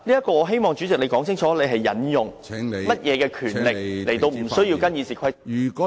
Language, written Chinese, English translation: Cantonese, 我希望主席可以解釋清楚，你究竟行使甚麼權力，而無須跟從《議事規則》呢？, I hope the Chairman can explain clearly the power you have exercised to exempt you from abiding by RoP?